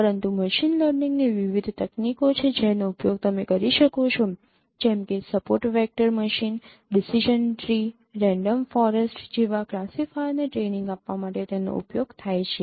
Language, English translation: Gujarati, But there are various techniques of machine learning which could be used for training these classifiers like support vector machine, decision tree, random forest and use them for that